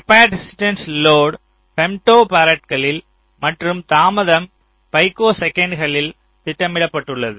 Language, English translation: Tamil, so load capacitances are plotted in femto farads and delay in picoseconds